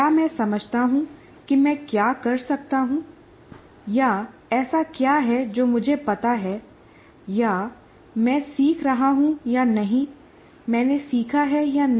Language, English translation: Hindi, Do I understand what is it that I can do or what is it that I know or whether I am learning or not, whether I have learned or not